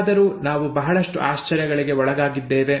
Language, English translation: Kannada, However we were in for a lot of surprises